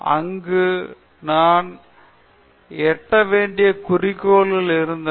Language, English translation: Tamil, There we had goals that we had to reach and do